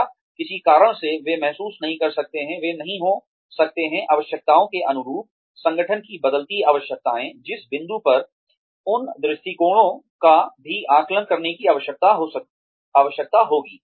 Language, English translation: Hindi, Or, for some reason, they may not feel, , they may not be, in tune with the requirements of the, the changing requirements of the organization, at which point, those attitudes, will also need to be assessed